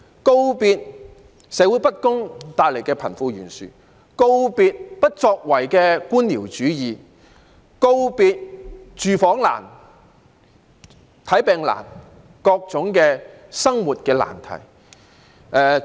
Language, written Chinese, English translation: Cantonese, 告別社會不公帶來的貧富懸殊，告別不作為的官僚主義，告別住房難、看病難和各種生活的難題。, I hope it can bid farewell to the wealth disparity caused by social injustice to bureaucratism marked by inaction and also to the difficulties in finding a decent home seeking medical treatment and also various aspects of life